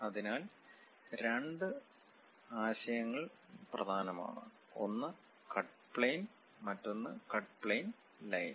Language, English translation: Malayalam, So, two concepts are important; one is cut plane, other one is cut plane line